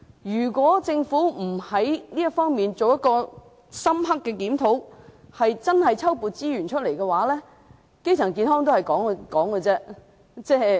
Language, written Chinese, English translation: Cantonese, 如果政府不就這方面進行深刻檢討，調撥資源，基層醫療健康只是空談。, If the Government refuses to thoroughly review this and redeploy its resources primary health care will turn into empty talks